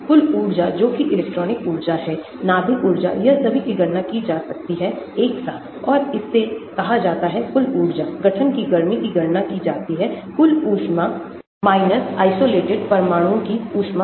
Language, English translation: Hindi, total energy that is electronic energy, nucleus energy all these can be calculated together and we call it total energy, heat of formation; calculated from heat of total minus heat of the isolated atoms